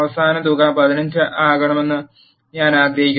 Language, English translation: Malayalam, And I want the final sum to be 15